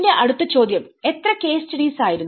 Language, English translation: Malayalam, My next question was how many case studies